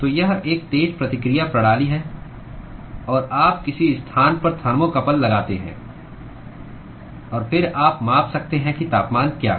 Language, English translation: Hindi, So, it is a fast response system and, you put a thermocouple in some location and then you can measure what is the temperature